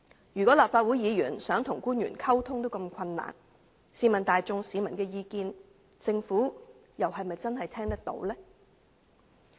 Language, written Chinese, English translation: Cantonese, 如果連立法會議員想跟官員溝通也如此困難，試問大眾市民的意見，政府又是否真的聽得到呢？, Given that even Legislative Council Members found it difficult to communicate with the officials did the Government really hear the views of the ordinary masses?